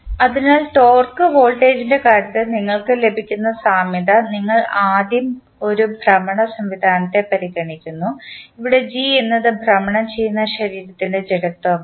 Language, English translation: Malayalam, So, the analogy which you get, in case of torque voltage, you first consider one rotational system, where g is the inertia of rotating body